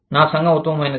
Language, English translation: Telugu, My community is the best